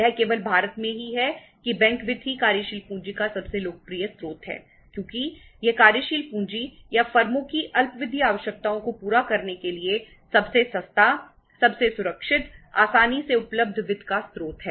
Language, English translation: Hindi, It is in India only the bank finance is the most popular source of working capital because it is the cheapest, safest, most secure, easily available source of the finance for fulfilling the working capital or the short term requirements of the firms